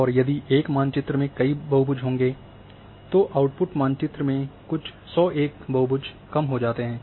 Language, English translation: Hindi, And if this would have been many, many polygons in one map then the output map will have you know might be few 100 polygons